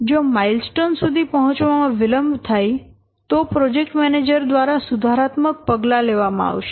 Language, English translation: Gujarati, So, if you are expecting that there will be a some delay in reaching the milestone, then the project manager has to take some remedial action